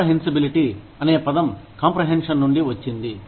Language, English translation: Telugu, Comprehensibility, comes from the word, comprehension